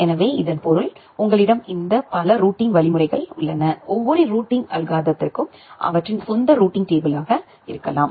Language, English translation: Tamil, So, that means, you have this multiple routings algorithm, every routing algorithm may have their own routing table